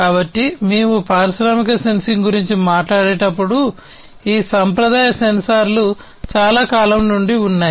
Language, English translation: Telugu, So, when we talk about industrial sensing there are these conventional sensors that have been there since long